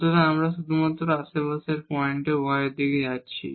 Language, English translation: Bengali, So, we are in only the neighborhoods points are in this direction of y